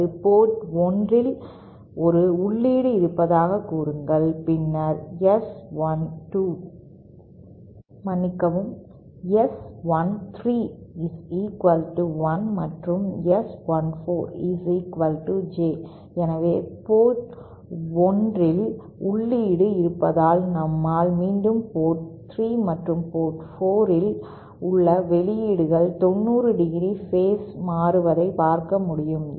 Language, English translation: Tamil, Or say there is an input at port 1, then the S13 is equal to 1 and S 14 is equal to J, so we can again see that if we have an input at port 1, then the outputs at port 3 and port 4 are phase shifted by 90¡